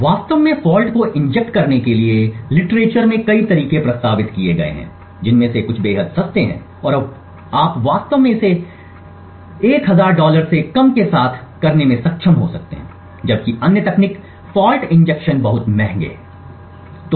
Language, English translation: Hindi, In order to actually inject the fault there have been several ways proposed in the literature some of them are extremely cheap and you could actually be able to do it with less than a 1000 dollars, while other techniques were fault injection are much more expensive